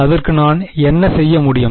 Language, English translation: Tamil, So, what can I do